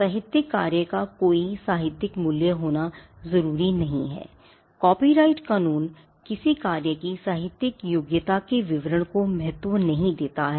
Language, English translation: Hindi, Now, the literary work need not be something that has value or something that has literally merit copyright law does not consider or does not get into the details of the literary merit of a work